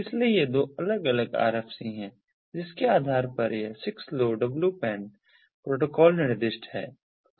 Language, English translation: Hindi, so these are the two different ah rfcs based on which this six lowpan protocol is specified